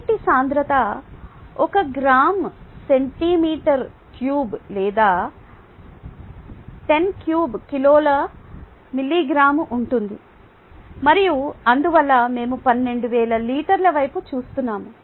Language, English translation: Telugu, the density of water happens to be one gram per centimeter cubed, or ten per three kilogram per meter cubed, and therefore we are looking at twelve thousand liters